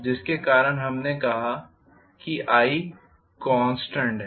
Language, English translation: Hindi, So because of which we said i is constant